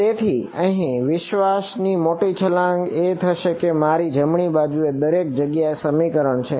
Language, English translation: Gujarati, So, the big leap of faith is going to be that everywhere in my right hand side this expression over here